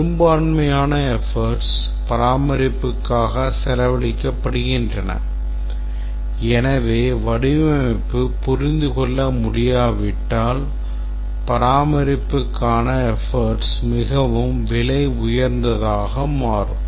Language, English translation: Tamil, Majority of the effort spent on maintenance and therefore unless it is understandable, design is understandable, maintenance effort will become extremely expensive